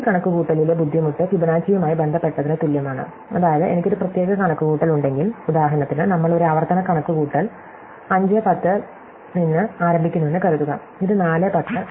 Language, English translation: Malayalam, So, the difficulty with this calculation is the same as involved with the Fibonacci, which is, that if I have a particular calculation, say for example, supposing we start a recursive calculation at (, then this will ask for ( and (